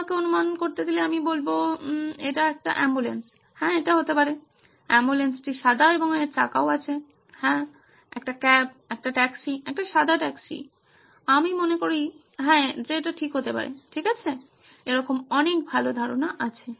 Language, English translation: Bengali, Let me guess ambulance yeah that’s a good one, ambulance it is white and has wheels yes, a cab, a taxi, a white taxi I suppose yeah that is a good one okay, so many more ideas like that good